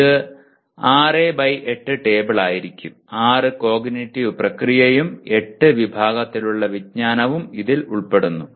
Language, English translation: Malayalam, It will be 6 by 8 table; 6 cognitive process and 8 categories of knowledge